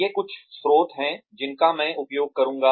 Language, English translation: Hindi, These are some of the sources, that I will be using